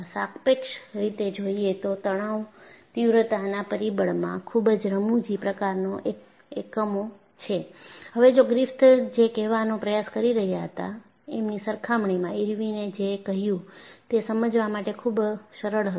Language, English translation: Gujarati, Relatively because if you look at the stress intensity factor, it has very funny units; leaving that apart, compare to what Griffith was trying to say, what Irwin said was easier for people to understand